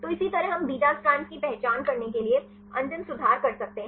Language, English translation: Hindi, So, likewise we can make the end corrections to identify the beta strands